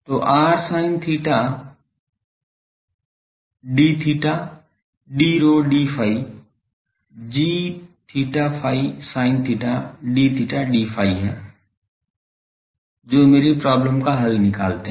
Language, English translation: Hindi, So, r sin theta d rho d phi is g theta phi sin theta d theta d phi that solve my problem